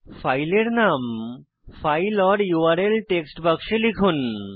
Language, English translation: Bengali, Type the file name in the File or URL text box